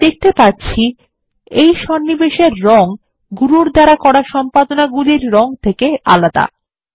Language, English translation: Bengali, We can see that the colour of this insertion is different from the colour of the edits done by Guru